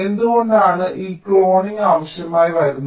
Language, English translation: Malayalam, so why we may need this cloning